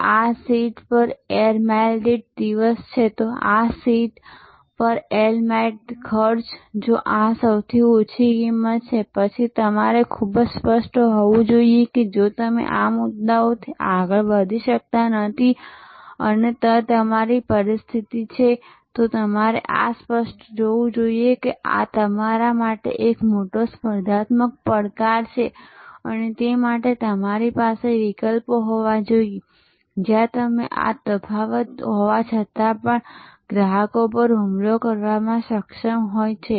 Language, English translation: Gujarati, So, this cost per seat air mile, if this is the lowest cost then you have to be very clear that if you or not able to go beyond this points say and they this is your position then you should be clear that this is a major competitive challenge for you and they we have to have alternatives, where you will able to attack customers in spite of this difference